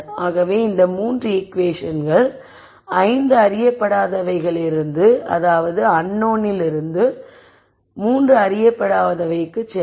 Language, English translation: Tamil, So, those are now known so these 3 equations will go from 5 unknowns to 3 unknowns